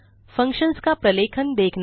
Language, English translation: Hindi, look up documentation of functions